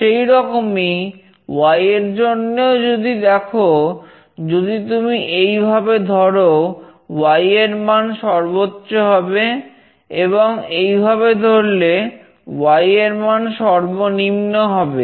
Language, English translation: Bengali, Similarly, for Y if you see, if you hold it this way, the Y value will be maximum; and if you hold it in this way, the Y value will be minimum